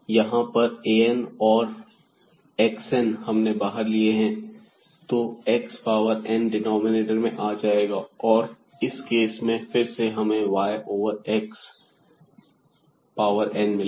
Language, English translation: Hindi, So, here we have taken x power n out again and then this x power minus 2 will remain; that means, a 2 and then y over x power 2 and so on